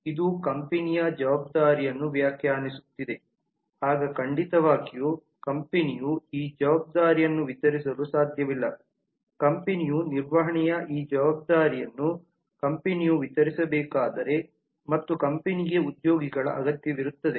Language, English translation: Kannada, this is defining a responsibility for the company then certainly cannot the company disburse this responsibility of management if the company has to disburse this responsibility of management and certainly the company need the employees